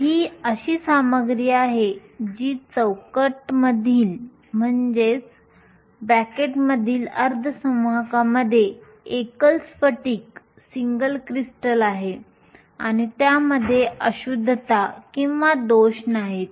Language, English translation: Marathi, These are materials I will just say semiconductors within bracket that are single crystals and have no impurities or defects